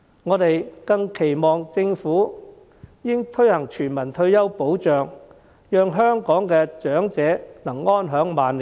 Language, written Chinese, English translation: Cantonese, 我們更期望政府應推行全民退休保障，讓香港的長者得以安享晚年。, We earnestly hope that the Government will implement universal retirement protection to enable the elderly in Hong Kong to lead a decent life in their twilight years